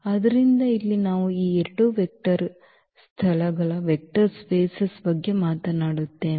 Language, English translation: Kannada, So, here we talk about these 2 vector spaces